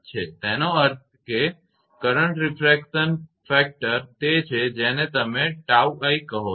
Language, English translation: Gujarati, That means, for the current refraction factor is your what you call tau i